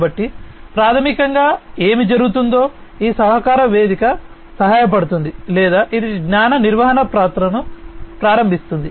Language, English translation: Telugu, So, basically what is happening essentially is this collaboration platform is helping or, enabling knowledge management, it is enabling knowledge management